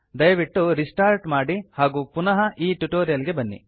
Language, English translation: Kannada, Please do so and return back to this tutorial